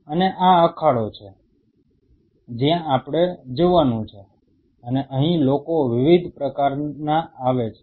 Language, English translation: Gujarati, And this is the arena where we are supposed to go, and here people are coming of different types